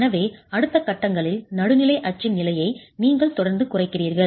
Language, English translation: Tamil, So you keep reducing the position of the neutral axis in the subsequent stages